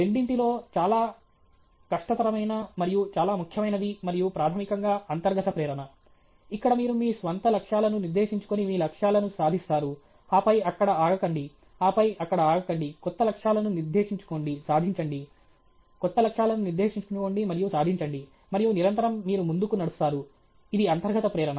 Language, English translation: Telugu, The most difficult, and the most, and the more important of the two is basically the intrinsic motivation, where you set your own goals, achieve your goals, and then don’t stop there, and then don’t stop there; set new goals, achieve; set new goals and achieve; and constantly, you are propelling forward; this is intrinsic motivation